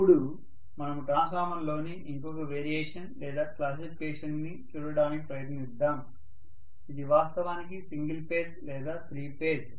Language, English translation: Telugu, So let us try to look at another variation or classification in the transformer which is actually single phase and three phase